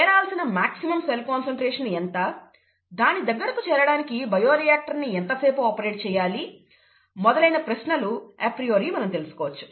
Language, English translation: Telugu, We would like to know what is the maximum cell concentration that needs to be reached, how long do you need to operate the bioreactor to reach that and so on and so forth apriori